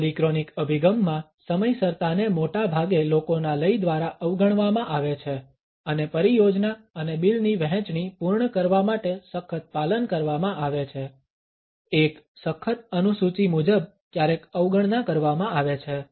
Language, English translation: Gujarati, In the polychronic orientation punctuality is largely ignored to the rhythm of the people and the rigid adherence to completing the projects and delivery bills, according to a rigid schedule is sometimes overlooked